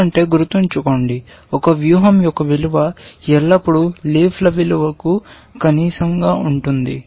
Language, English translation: Telugu, Because remember that, the value of a strategy is always the minimum of the value of the leaves essentially